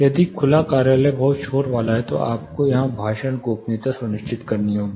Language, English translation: Hindi, If the open office is very noisy we have to ensure speech privacy here